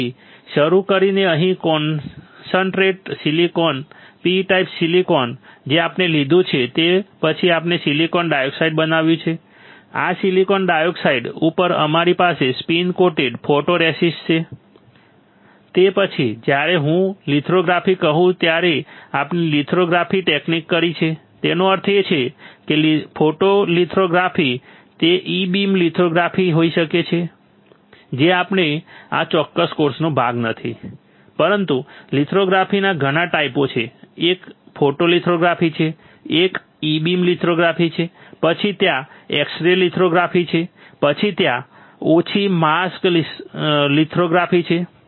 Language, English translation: Gujarati, Here starting with here concentrate silicon, P type silicon we have taken then we have grown silicon dioxide right on this silicon dioxide we have spin coated photoresist, after that we have done lithography technique whenever I say lithography; that means, photolithography, it can be e beam lithography which we it is not part of this particular course, but there are several types of lithography, one is photolithography one is E beam lithography, then there is x ray lithography, then there is a mask less lithography